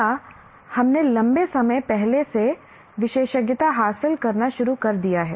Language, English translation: Hindi, Or we have started specializing long time back